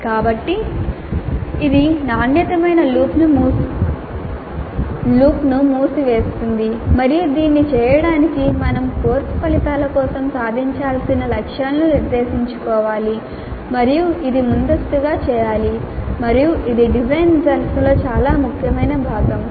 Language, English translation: Telugu, So this is closing the quality loop and in order to do this it is necessary that we must set attainment targets for the course outcomes and this must be done upfront and this is part of the design phase an extremely important part of the design phase